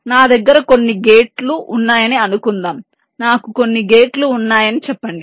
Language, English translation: Telugu, let say i have some gates